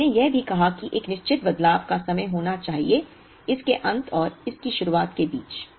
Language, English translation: Hindi, And we also said that there has to be a certain changeover time between the end of this and the beginning of this